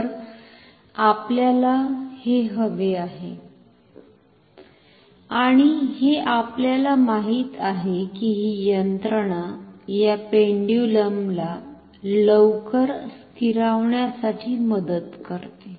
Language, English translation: Marathi, So, this is what we want, and we know that this mechanism helps the point this pendulum to settle down quickly